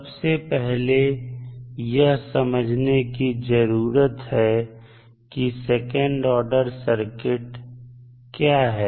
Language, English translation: Hindi, So, let us first understand what we mean by second order circuit